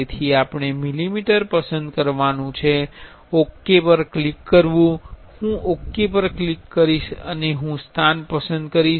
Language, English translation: Gujarati, So, we have to select millimeter and click ok, I will click and I will select a location